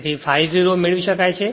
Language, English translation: Gujarati, So, that is 0